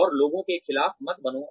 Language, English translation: Hindi, And, do not be against people